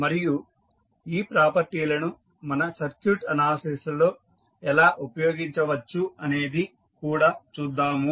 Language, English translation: Telugu, And we will see how we can use those properties in our circuit analysis